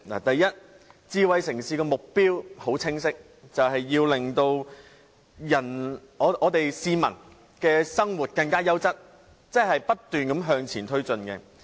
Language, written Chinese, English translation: Cantonese, 第一，智慧城市的目標很清晰，便是要令市民的生活更優質，即不斷向前推進。, First the goal of a smart city is very clear that is to give the public better quality of life; in other words to keep advancing forward